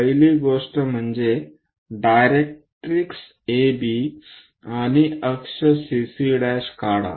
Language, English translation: Marathi, The first thing, draw a directrix AB and axis CC prime